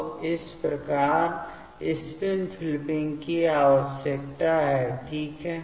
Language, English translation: Hindi, So, thus spin flipping is required fine